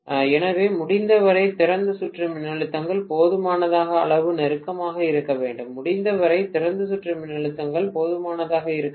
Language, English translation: Tamil, So, as much as possible the open circuit voltages should be close enough, as much as possible the open circuit voltages should be close enough